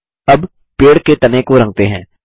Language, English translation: Hindi, Lets color the trunk of the tree next